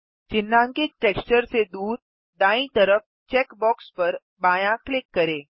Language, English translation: Hindi, Left click the check box at the far right of the highlighted Texture